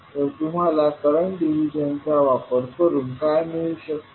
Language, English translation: Marathi, So, what you get using current division